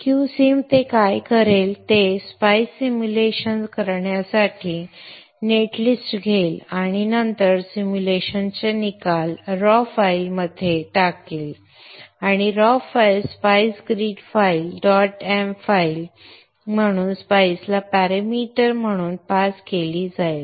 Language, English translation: Marathi, Q Sin what it will do is it will take the netlist, do the spice simulation and then put the results of the simulation into a raw file and the raw file is passed as a parameter to the spice a spice read file